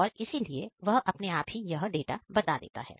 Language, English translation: Hindi, So, it automatically gives the data